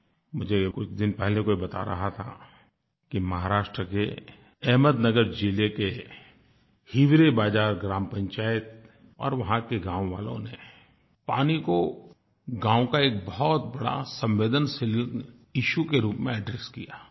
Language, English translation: Hindi, I was recently told that in Ahmednagar district of Maharashtra, the Hivrebazaar Gram Panchayat and its villagers have addressed the problem of water shortage by treating it as a major and delicate issue